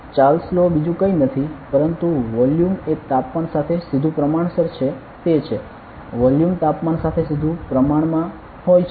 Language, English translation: Gujarati, So, Charles law is nothing, but volume is directly proportional to the temperature; volume is directly proportional to the temperature